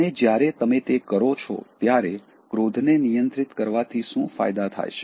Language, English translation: Gujarati, And, when you do that, what are the benefits of controlling anger